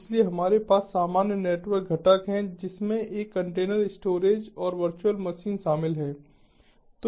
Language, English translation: Hindi, so we have the common network component, which includes a container, a storage and virtual machine